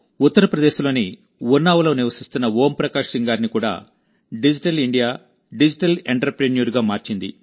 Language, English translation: Telugu, Digital India has also turned Om Prakash Singh ji of Unnao, UP into a digital entrepreneur